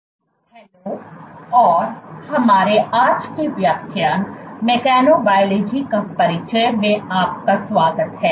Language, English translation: Hindi, Hello and welcome to our todays lecture of Introduction to Mechanobiology